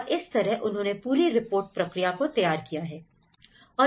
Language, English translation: Hindi, So, that has framed the whole report process